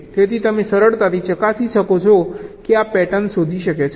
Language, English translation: Gujarati, so you can easily check that this pattern can detect all these faults